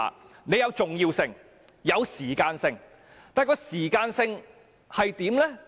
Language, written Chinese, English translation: Cantonese, 事情有重要性，亦有時間性，時間性是怎樣？, Importance is a concern yet timing is also a concern . What about the timing?